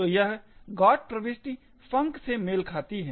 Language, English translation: Hindi, So, this particular GOT entry corresponds to the func